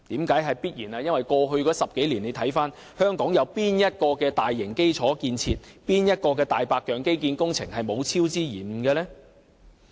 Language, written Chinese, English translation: Cantonese, 這是因為過去10年，香港有哪項大型基礎建設和"大白象"基建工程沒有超支和延誤？, That is because over the past decade which one of the large - scale infrastructure projects and white elephant infrastructure projects in Hong Kong has not been overspent and delayed?